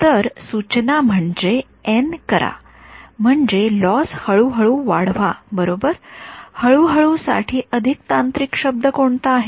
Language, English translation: Marathi, So, the suggestion is make n I mean make the loss increase slowly right what is a more technical word for slowly